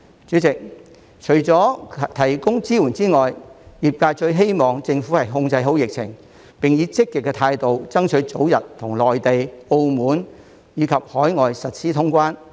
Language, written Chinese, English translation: Cantonese, 主席，除了提供支援之外，業界最希望政府控制好疫情，並以積極的態度，爭取早日與內地、澳門及海外通關。, President apart from providing support the industry hopes that the Government can put the epidemic under control and adopt a pro - active attitude in striving for early resumption of cross - border travel with the Mainland Macao and overseas jurisdictions